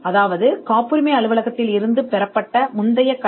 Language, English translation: Tamil, that is the prior art from the patent office